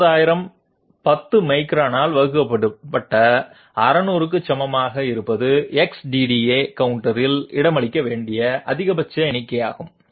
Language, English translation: Tamil, 60,000 being equal to 600 divided by 10 microns is the maximum number which has to be accommodated in the X DDA counter